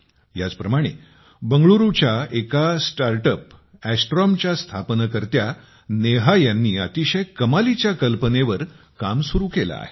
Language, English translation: Marathi, Similarly, Neha, the founder of Astrome, a space startup based in Bangalore, is also working on an amazing idea